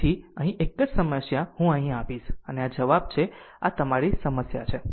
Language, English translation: Gujarati, So, one only one problem here I will giving here and this is the answer and this is your problem right